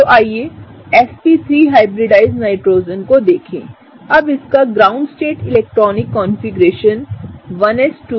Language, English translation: Hindi, So, let us look at the sp3 hybridized Nitrogen, now its ground state electronic configuration is 1s2, 2s2, 2p3 right